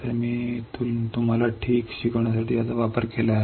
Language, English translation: Marathi, So, I have used it for teaching you guys ok